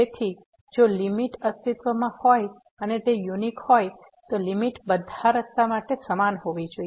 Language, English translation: Gujarati, Since, the limit if exist is unique the limit should be same along all the paths